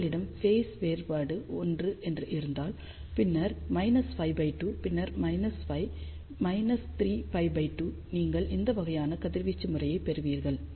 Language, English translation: Tamil, So, if you have phase difference of 1, then minus pi by 2 then minus pi minus 3 pi by 2 you will get this kind of a radiation pattern